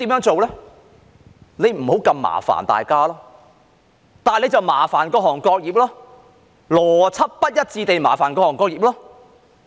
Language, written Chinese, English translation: Cantonese, 政府不想麻煩大家，那便麻煩各行各業，邏輯不一致地麻煩各行各業。, The Government does not want to give us trouble . So it has troubled various trades and industries being inconsistent in logic